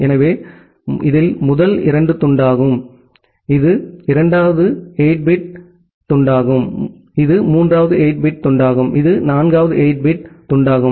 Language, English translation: Tamil, So, this is the first chunk, this is the it is a second 8 bit chunk, this is the third 8 bit chunk, and this is the fourth 8 bit chunk